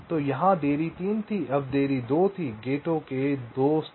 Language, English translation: Hindi, now the delay was two, two levels of gates